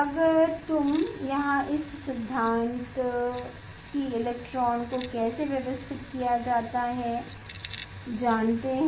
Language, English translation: Hindi, if you; here this above principle how electrons are arranged electrons are arranged in the energy levels that you know